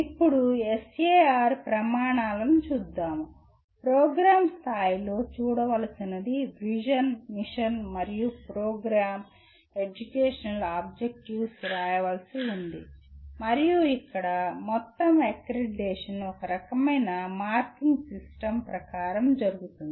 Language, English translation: Telugu, Now coming to SAR criteria, at the program level what one has to look at is Vision, Mission and Program Educational Objectives have to be written and here the whole accreditation is done as per some kind of a marking system